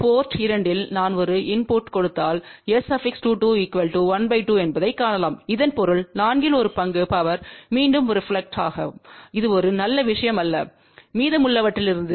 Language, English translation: Tamil, So, what will happen if I give a input at port 2 you can see that S 2 2 is half, so that means 1 fourth of the power will reflect backthat is not a very good thing and out of that rest of it